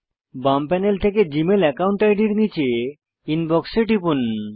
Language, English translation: Bengali, From the left panel, under your Gmail account ID, click Inbox